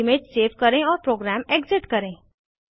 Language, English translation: Hindi, Save the image and exit the program